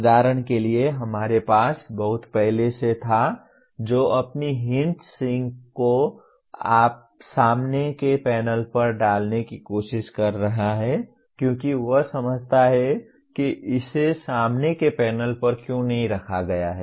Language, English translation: Hindi, For example we had someone long back who is trying to put his heat sinks right on the front panel because he considers why not put it on the front panel